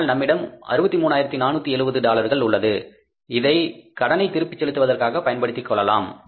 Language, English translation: Tamil, But we have this amount of $63,470 which we can utilize for making the payment of the balance of the loan